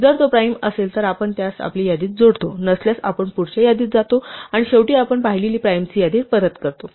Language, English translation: Marathi, If it is a prime then we append it our list, if not we go to the next one and finally we return the list of primes we have seen